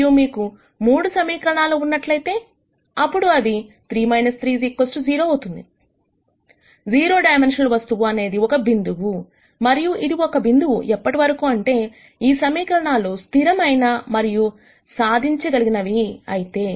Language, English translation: Telugu, And if you have 3 equations, then you have 3 minus 3 equals 0, the 0 dimensional object would be a point, and this would be a point as long as these 3 equations are consistent and solvable